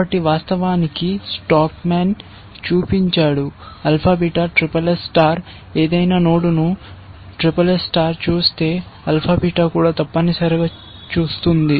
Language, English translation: Telugu, So, in fact, it was shown by stockman that, alpha beta that, SSS star, if any node is seen by SSS star, alpha beta will also see that essentially